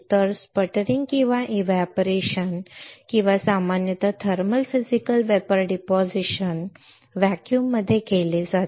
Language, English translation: Marathi, So, sputtering or evaporation or in general thermal Physical Vapor Deposition is usually done in a vacuum